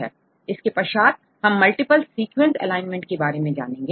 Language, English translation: Hindi, Which is a program which can give the multiple sequence alignment